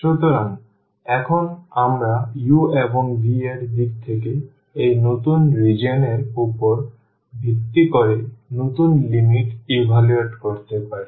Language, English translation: Bengali, So, now we can evaluate the new limits based on this new region in terms of u and v